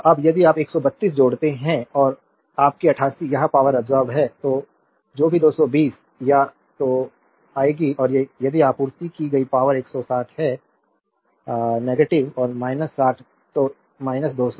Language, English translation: Hindi, Now, if you add 132 and your 88 this is power absorbed whatever it will come 220 or so, right and if you see the power supplied it is 160 minus and minus 60 so, minus 220